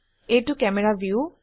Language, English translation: Assamese, This is the Camera View